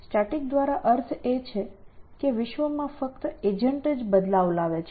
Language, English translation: Gujarati, By static we mean that agent is the only one making changes in the world essentially